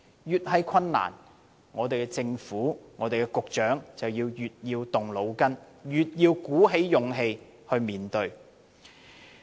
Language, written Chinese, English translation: Cantonese, 越是困難，香港政府和局長就越要動腦筋，越要鼓起勇氣面對。, The more difficult it is the harder the Hong Kong Government and the Secretary should think and the more courage they have to muster to address the issue